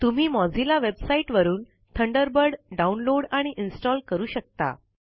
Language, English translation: Marathi, You can also download and install Thunderbird from the Mozilla website